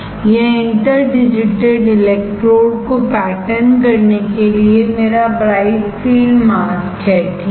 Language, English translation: Hindi, This is my bright filled mask for patterning the interdigitated electrodes, right